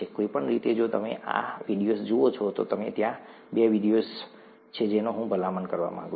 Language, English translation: Gujarati, Anyway, if you look at these videos, there are two videos that I’d like to recommend